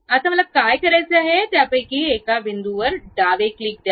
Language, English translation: Marathi, Now, what I have to do, give a left click on one of the point